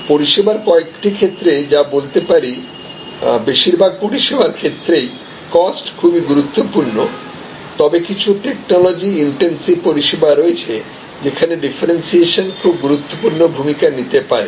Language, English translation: Bengali, So, there are certain sets of services, where cost and this is true for most services, but there are certain other technology intensive services, were differentiation can play an important part